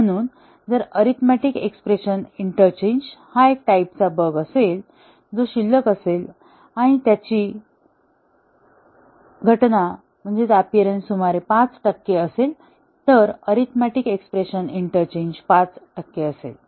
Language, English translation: Marathi, So, if the arithmetic expression interchange is a type of bug that remains, then and their occurrence is about 5 percent then, the seeded bugs would also be arithmetic expression interchange be 5 percent